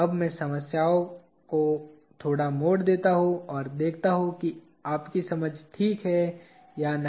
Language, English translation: Hindi, Let me twist the problem a little bit now and see if your understanding is ok